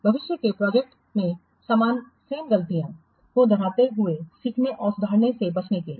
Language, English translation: Hindi, Why in order to learn and improve and avoiding that repeating the same mistakes in future projects